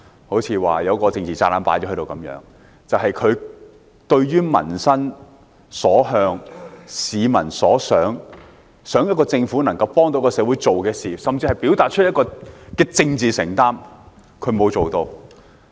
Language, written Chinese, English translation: Cantonese, 不是說有一個政治炸彈放在這裏般，而是對於民心所向、市民所想、期望政府能夠幫助社會做的事，甚至表達政治承擔，施政報告均沒有作為。, It does not mean a political bomb being planted here but rather refers to the inaction of the Policy Address in response to public aspirations and concerns nor to peoples expectation that the Government can do something to help society or even express political commitment